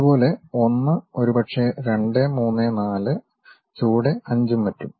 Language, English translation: Malayalam, Similarly, 1 maybe, 2, 3, 4, a bottom 5 and so on